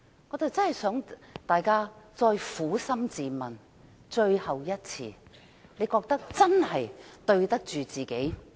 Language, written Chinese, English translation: Cantonese, 我希望大家能最後一次撫心自問，是否真的覺得對得起自己？, I hope we can ask ourselves frankly for the last time . Do we really think we are acting in good faith?